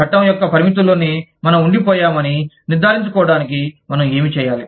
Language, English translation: Telugu, What do we need to do, in order to make sure, that we remain, within the confines of the law